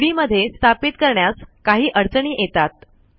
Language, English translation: Marathi, There is some difficulty in installing it from the CD